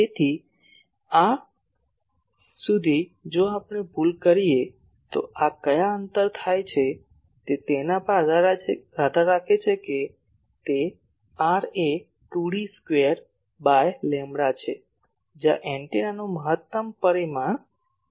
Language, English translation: Gujarati, So, up to this if we commit the error then at what distance this happen that depends on actually that r is 2 D square by lambda, where D is the maximum dimension of the antenna